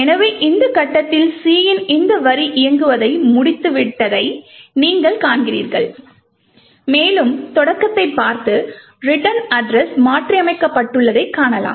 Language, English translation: Tamil, So, at this point you see that this line of C has completed executing and we would also look at the start and note that the return address has been modified